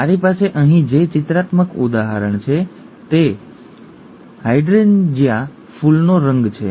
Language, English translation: Gujarati, The pictorial example that I have here is the colour of a hydrangea flower